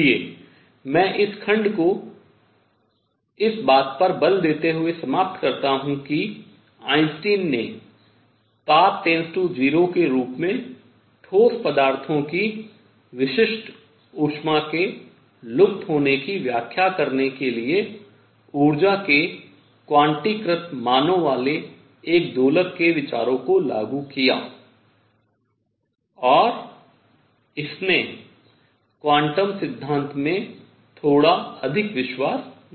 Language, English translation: Hindi, So, I conclude this, this section by emphasizing that Einstein applied the ideas of an oscillator having quantized values of energies to explain the vanishing of specific heat of solids as temperature goes to 0 and that gave a little more trust in quantum theory